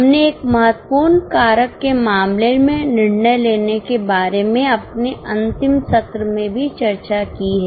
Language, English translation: Hindi, We have also discussed in our last session about decision making in case of a key factor